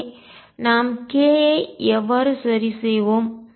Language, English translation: Tamil, And also we want to find how to fix k